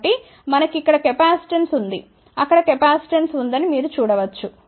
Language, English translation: Telugu, So, we have a capacitance over here you can see there is a capacitance